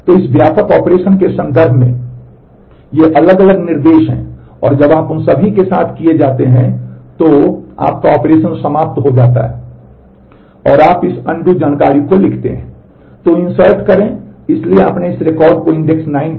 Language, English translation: Hindi, So, these are the different instructions in terms of this broad operation and when you are done with all that then your operation ends and you write this undo information